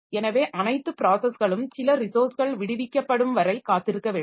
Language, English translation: Tamil, So where all the processes they are waiting for some resource to be free